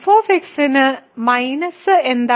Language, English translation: Malayalam, What is minus of f